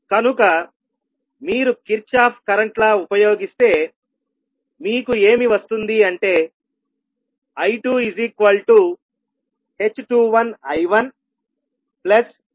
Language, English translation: Telugu, So when you use Kirchhoff’s voltage law you will write V2 as g21 V1 plus g22 I2